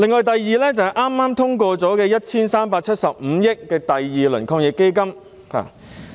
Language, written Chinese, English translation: Cantonese, 第二，就是剛剛通過的 1,375 億元防疫抗疫基金第二輪撥款。, The next point is the second - round funding of AEF of 137.5 billion that has recently been passed